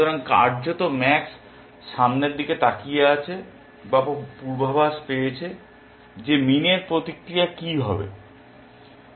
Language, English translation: Bengali, So, in effect max has force looked ahead at or foreseen what would be min’s response